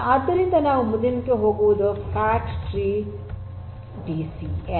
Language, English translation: Kannada, So, the next one that we are going to go through is the fat tree DCN